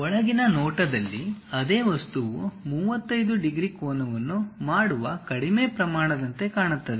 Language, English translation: Kannada, Inside view the same object looks like a reduce scale making 35 degrees angle